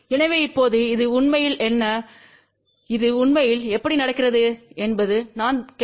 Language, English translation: Tamil, So, now the question is what really this is and how that really happens